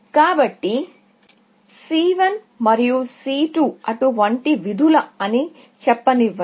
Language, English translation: Telugu, So, let say C 1 and C 2 are such functions